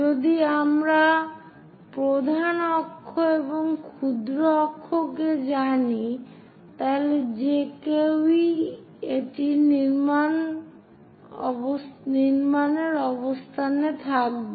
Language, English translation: Bengali, If we know major axis, minor axis, one will be in a position to construct this